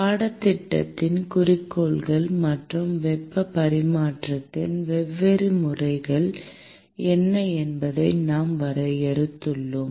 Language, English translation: Tamil, We defined the objectives of the course and what are the different modes of heat transfer